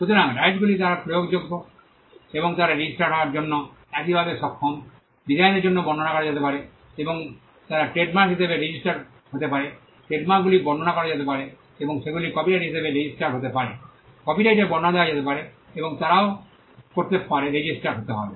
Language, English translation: Bengali, So, rights they are enforceable and they are capable of being registered the same is for design, designs can be described and they can be registered as trademarks, Trademarks can be described and they can be registered as copyrights, Copyrights can be described and they can be registered